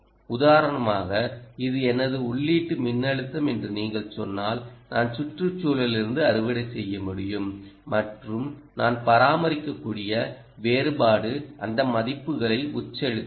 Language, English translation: Tamil, for instance, if you say this is my input voltage and this all i can harvest from the environment and the differential that i am able to maintain, feed in those values, it will actually tell you what kind of components would be required